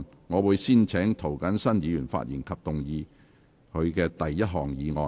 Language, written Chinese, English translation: Cantonese, 我會先請涂謹申議員發言及動議他的第一項議案。, I will first call upon Mr James TO to speak and move his first motion